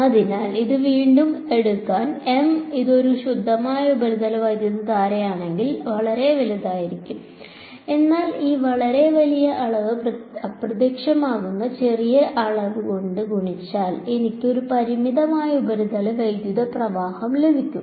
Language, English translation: Malayalam, So, to sort of state that again this; M hat if it is a pure surface current is going to be very very large, but this very large quantity multiplied by a vanishingly small quantity is what is going to give me a finite surface current